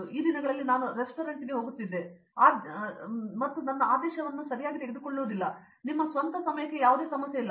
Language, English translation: Kannada, So, these days I used to go to a restaurant and I don’t get my order okay take your own time no problem